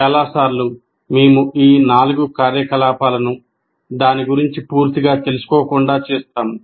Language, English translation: Telugu, All these four activities, most of the times we will be doing that but without being fully aware of it